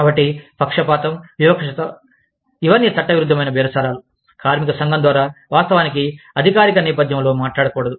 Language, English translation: Telugu, So, biases, discrimination, all of these are, illegal bargaining topics, that one should not talk about, through labor union at all, actually, in an official setting